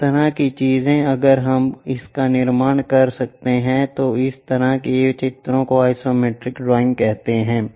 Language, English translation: Hindi, Such kind of things if we can construct it that kind of drawings are called isometric drawings